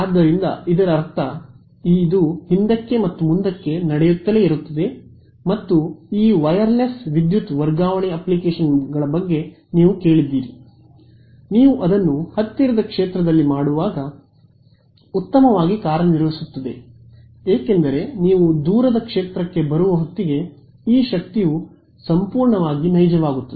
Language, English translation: Kannada, So, this I mean back and forth keeps happening and there are you heard of these wireless power transfer applications right those work best when you do it in the near field because you are able to access this energy by the time you come to the far field its becomes purely real